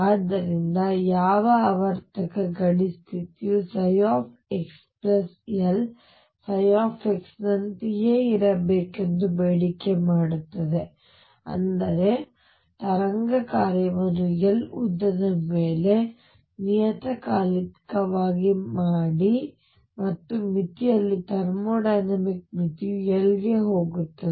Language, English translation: Kannada, So, what periodic boundary condition does is demand that psi x plus L be same as psi x; that means, make the wave function periodic over a length L and in the limit thermodynamic limit will at L go to infinity